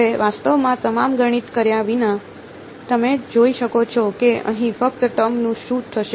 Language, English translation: Gujarati, Now, without actually doing all the math, you can see what will happen to the first term over here